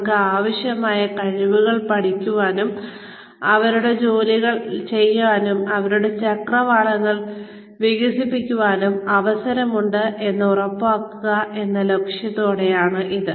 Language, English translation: Malayalam, With the aim of ensuring, they have the opportunity, to learn the skills, they need, to do their jobs, and expand their horizons